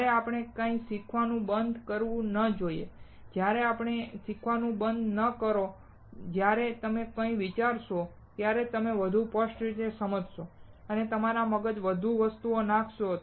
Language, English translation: Gujarati, And we should never stop learning, and when you never stop learning, when you read something, you understand more clearly, and put more things in your brain